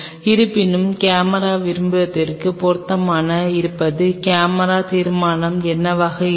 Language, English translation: Tamil, However, going to fit the camera want will be the camera resolution what